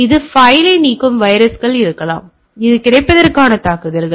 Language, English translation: Tamil, So, there can be viruses which deletes a file right this is also attack on availability right